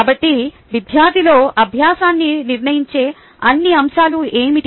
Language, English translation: Telugu, so what are all the factors which decide the learning in a student